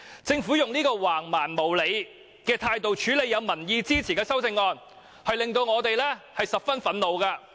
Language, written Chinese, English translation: Cantonese, 政府以這種橫蠻無理的態度處理獲民意支持的修正案，令我們十分憤怒。, We are furious that the Government has adopted such an unreasonable and barbarous approach to handle a CSA which has the support of the public